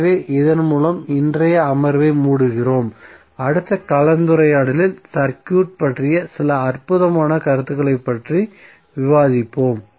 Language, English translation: Tamil, So with this we close our today’s session in the next session we will discuss few other exciting concepts of the circuit